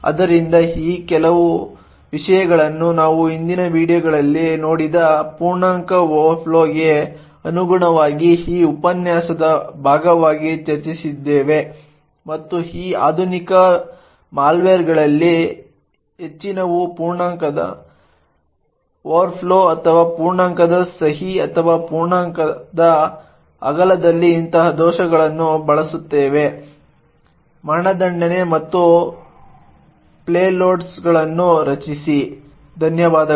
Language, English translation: Kannada, So some of these things we have actually discussed as part of this lecture corresponding to integer overflow which we have seen in the previous videos and many of these modern malware would use such vulnerabilities in integer overflow or signedness of integer or the width of integer to subvert execution and create payloads, thank you